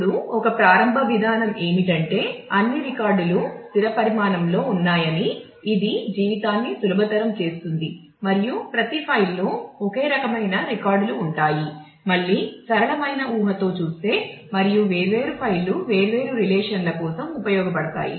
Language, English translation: Telugu, Now, one starting approach could be we can assume that all records are of fixed size which makes a life easier and each file has records of only one type again a simplifying assumption and different files are used for different relations